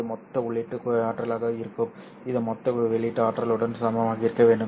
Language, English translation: Tamil, So this has to be the total equal to the total output energy